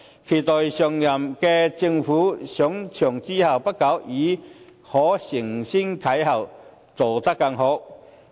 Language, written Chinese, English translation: Cantonese, 期待下任政府上場後不久，已經可以承先啟後，做得更好。, I hope that shortly after the next Government has assumed office it can build on past achievements and do better in the future